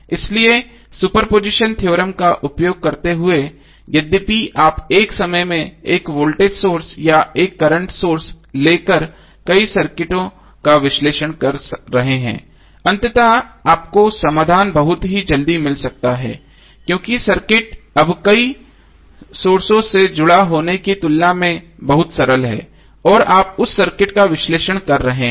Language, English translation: Hindi, So using super position theorem all though you are analyzing multiple circuits by taking 1 voltage source or 1 current source on at a time but eventually you may get the solution very early because the circuits are now simpler as compare to having the multiple sources connected and you are analyzing that circuit